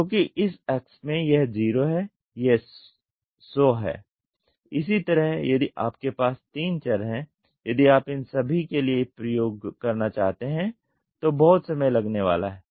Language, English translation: Hindi, Because in this X this is 0 this is 100 like this if you have 3 variables if you want to do experiments for all these it is going to take lot of time